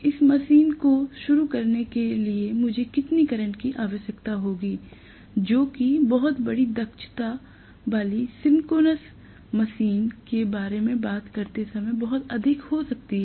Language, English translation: Hindi, How much current I will require to start this machine that may be enormously high when I talk about very large capacity synchronous motor